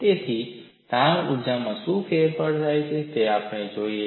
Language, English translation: Gujarati, So, what is the change in strain energy